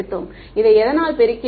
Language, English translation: Tamil, We multiplied this by what